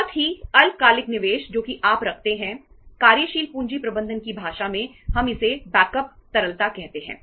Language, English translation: Hindi, So that very short term investments which are kept as a as a you can call it as in the in the language of working capital management we call it as backup liquidity right